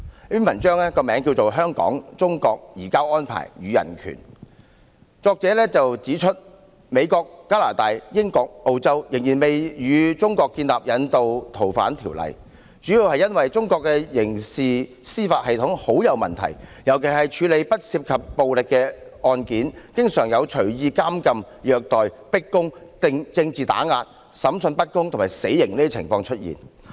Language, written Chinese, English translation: Cantonese, 在這篇題為"香港、中國、'移交安排'與人權"的文章中，作者指美國、加拿大、英國、澳洲仍未與中國簽訂引渡逃犯協議，主要的原因是中國的刑事司法系統存在很大問題，尤其是處理不涉及暴力的案件，經常出現任意監禁、虐待、迫供、政治打壓、審訊不公和死刑等情況。, In his article entitled Hong Kong China Rendition and Human Rights the author highlights that the United States Canada the United Kingdom and Australia have not finalized extradition agreements with China largely because of their concerns about the pervasive problems in Chinas criminal justice system especially for non - violent crimes which often result in arbitrary detention torture coerced confessions political prosecutions unfair trials and capital punishment